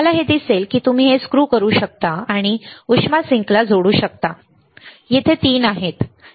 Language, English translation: Marathi, You see here this one you can screw this, and connect to a heat sink there are 3 here, right